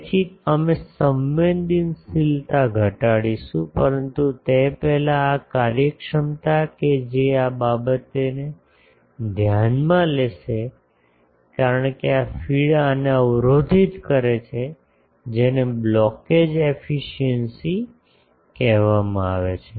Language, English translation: Gujarati, So, that we will reduce the sensitivity, but before that this efficiency that will be mattered because this feed is blocking this that is called blockage efficiency